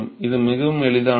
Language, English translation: Tamil, It is very easy